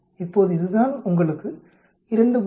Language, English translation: Tamil, Now this is what you get 2